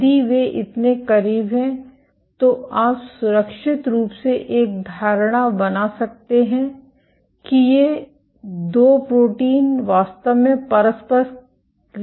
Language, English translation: Hindi, If they are so close then you can safely make an assumption that these 2 proteins are really interacting